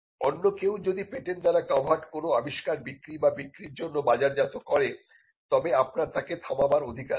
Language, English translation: Bengali, If somebody else markets an invention that is covered by a patent you have the right to stop that person